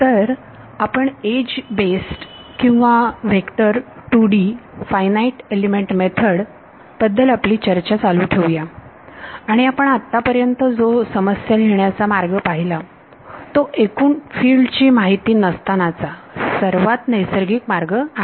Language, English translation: Marathi, So, we continue our discussion of edge based or vector 2D Finite Element Method and what we have seen so far is the most natural way of formulating the problem, unknown in terms of the total field right